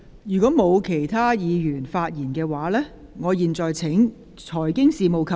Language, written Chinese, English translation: Cantonese, 如果沒有其他議員想發言，我現在請財經事務及庫務局局長答辯。, If other Members do not wish to speak I now call upon the Secretary for Financial Services and the Treasury to reply